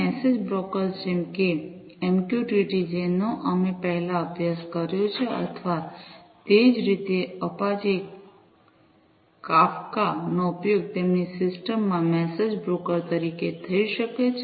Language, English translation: Gujarati, Message brokers such as MQTT, which we have studied before or similarly Apache Kafka could be used as message brokers in their system